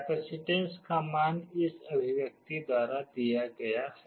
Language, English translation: Hindi, The value of the capacitance is given by this expression